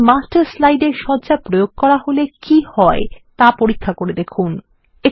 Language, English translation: Bengali, Check what happens when you apply a Layout to a Master slide